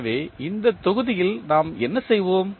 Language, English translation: Tamil, So, what we will do in this module